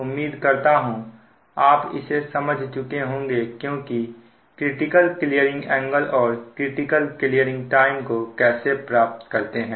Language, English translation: Hindi, i hope this you have understood right that: how to find out at your critical clearing angle or critical clearing time